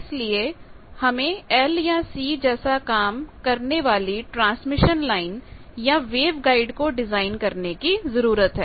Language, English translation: Hindi, So, we need to design a transmission lines or wave guides for realising L and C of that